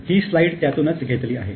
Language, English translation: Marathi, So, we have taken these slides from that